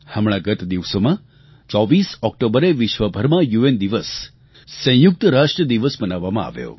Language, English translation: Gujarati, United Nations Day was observed recently all over the world on the 24th of October